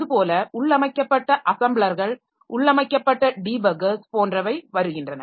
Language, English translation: Tamil, So they come up with some built in compilers, so built in assemblers, debuggers, so like that